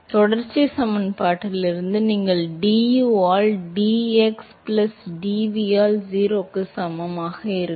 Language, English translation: Tamil, So, from continuity equation you will have du by dx plus dv by dy that is equal to 0